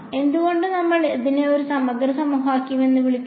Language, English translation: Malayalam, Now why do we call it an integral equation